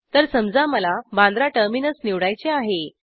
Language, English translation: Marathi, So lets suppose that i want to choose Bandra Terminus